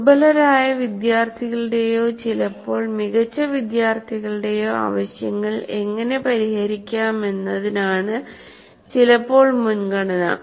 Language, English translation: Malayalam, And then sometimes the priority could be how to address the requirements of weak students or sometimes the better students